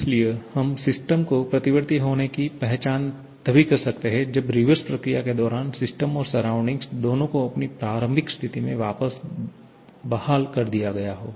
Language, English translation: Hindi, So, we can identify system to be reversible only when during the reverse process both the system and the surrounding has been restored back to its initial condition